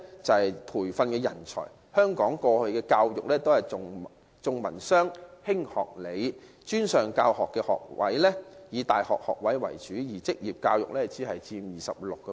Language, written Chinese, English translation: Cantonese, 在培訓人才方面，香港過去的教育均重文商、輕學理，專上教育學位以大學學位為主，而職業教育只佔 26%。, On manpower training Hong Kongs education used to emphasize arts and business at the expense of vocational training . The majority of post - secondary school places have been provided by universities while vocational education only accounts for 26 %